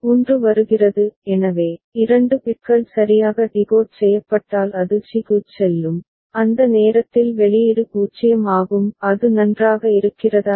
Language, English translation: Tamil, 1 comes so, 2 bits get correctly decoded it will go to c it has and output is 0 at that time is it fine